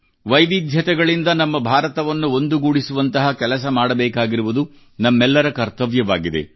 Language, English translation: Kannada, It is our duty to ensure that our work helps closely knit, bind our India which is filled with diversity